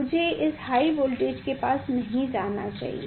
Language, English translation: Hindi, I should not go near to that high voltage